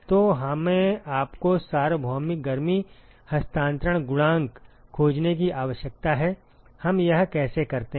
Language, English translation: Hindi, So, we need to find you the universal heat transfer coefficient how do we do this